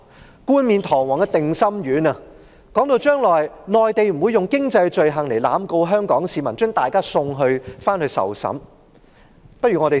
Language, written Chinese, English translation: Cantonese, 政府冠冕堂皇派發定心丸，說將來內地不會用經濟罪行濫告香港市民，把大家送回去受審。, The Government has been making pretentious efforts to reassure the public saying that the Mainland will not arbitrarily prosecute Hong Kong people for economic offences and they will not be surrendered to China for trial